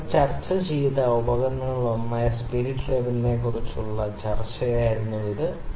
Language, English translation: Malayalam, This was the discussion about the spirit level that is one of the instruments that we discussed